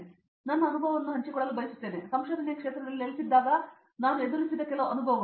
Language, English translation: Kannada, So I would like to share my experience while, some experiences which I faced while settling in to the field of research